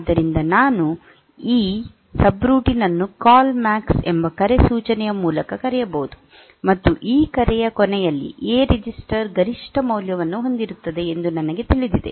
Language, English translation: Kannada, So, I can call this subroutine by the instruction call, CALL MAX, and we know that at the end of this call, the A register will have the maximum value